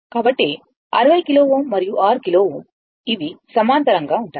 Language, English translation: Telugu, So, 60 ohm kilo ohm and 6 kilo ohm; they are in parallel, right